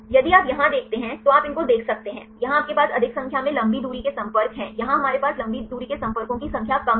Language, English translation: Hindi, You can see these right if you see here, here you have more number of long range contacts here we have less number of long range contacts